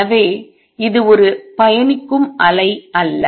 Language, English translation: Tamil, So, this is not a travelling wave